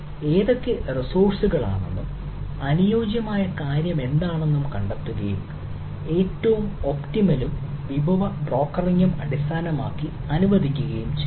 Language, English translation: Malayalam, so that, discovering that which are the resources and which is the suitable thing and allocating the most optimal and based about thing and ah resource brokering